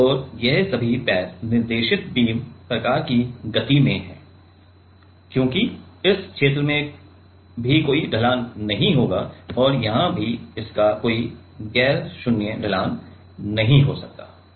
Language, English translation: Hindi, And all of these legs are in guided beam kind of motion because, this region also will not have any slope and here also it cannot have any non zero slope